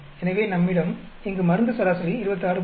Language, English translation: Tamil, So, we have the drug average here 26